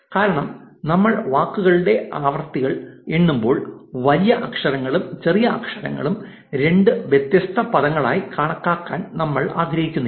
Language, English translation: Malayalam, So, that we avoid any repetition because when we are counting word frequencies we do not want to count a word in capitals and in smalls as two different words